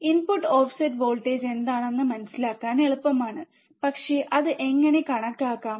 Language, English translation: Malayalam, Easy easy to understand what is the input offset voltage, but how to calculate it, right how to calculate it